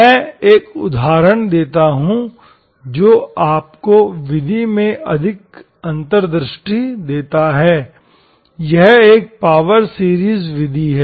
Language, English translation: Hindi, Let me give an example that gives you more insights into the method, it is a power series method